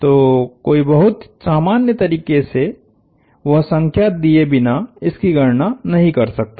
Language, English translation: Hindi, So, one could not in a very general way calculate that from without being given that number